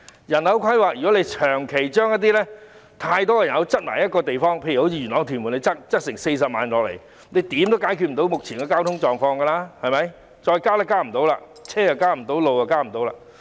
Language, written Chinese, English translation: Cantonese, 如果長期把太多人口擠在一個地方，例如元朗和屯門將增加40萬人口，怎樣也無法解決目前的交通情況，因為交通工具和道路也無法再增加了。, If too many people are squeezed at one place for a long time such as Yuen Long and Tuen Mun where the population will increase by 400 000 the current traffic situation can never be solved because the means of transport and roads cannot be increased